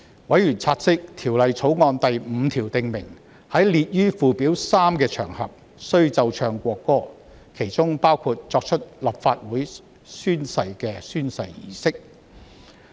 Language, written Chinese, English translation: Cantonese, 委員察悉，《條例草案》第5條訂明，在列於附表3的場合，須奏唱國歌，當中包括作出立法會誓言的宣誓儀式。, Members note that clause 5 of the Bill provides for the playing and singing of the national anthem on each occasion set out in Schedule 3 including the Legislative Council oath - taking ceremony